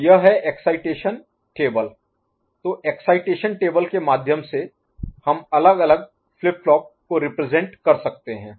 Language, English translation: Hindi, So this is how excitation table is through excitation table we can represent different flip flops ok